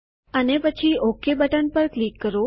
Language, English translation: Gujarati, And then click on the OK button